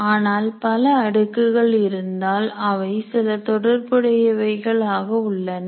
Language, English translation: Tamil, But if you have too many layers, it may look a bit interactable